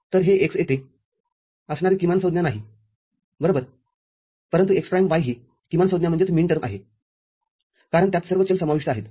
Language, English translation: Marathi, So, this x over here is not a minterm right, but x prime y this is a minterm because it contains all the variables